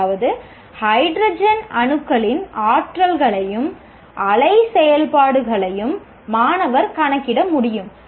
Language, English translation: Tamil, That means the student should be able to compute the energies and wave functions of hydrogen atoms